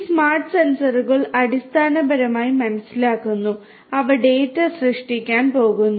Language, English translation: Malayalam, These smart sensors basically sense and they are going to generate the data